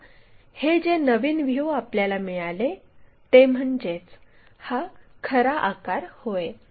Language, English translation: Marathi, Now, this new view whatever we got that becomes the true shape